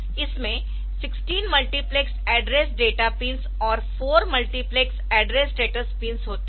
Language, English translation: Hindi, So, 16 bit 16 multiplexed address data pins and 4 multiplexed address data pins so that are there